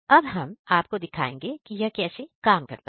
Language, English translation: Hindi, Now we are going to show you how it actually working